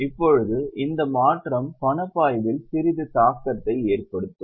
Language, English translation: Tamil, Now this change is most likely to have some impact on cash flow